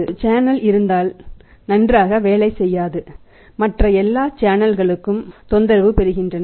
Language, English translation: Tamil, If there is one channel in the chain does not work well then the other all other channel get disturbed